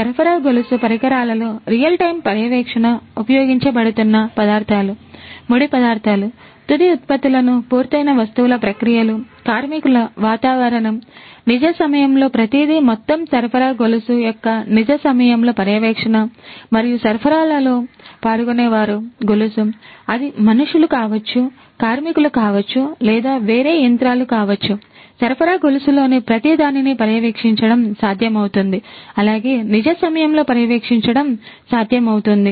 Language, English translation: Telugu, Real time monitoring in the supply chain of equipment, materials being used, raw materials, finished products, finished goods processes, workers environment, everything in real time, monitoring in real time of the entire supply chain and the participants in the supply chain; be it the humans, the workers the laborers and so on or be it the different machinery, everything is going to be possible to be monitored in everything in the supply chain is going to be possible to be monitored in real time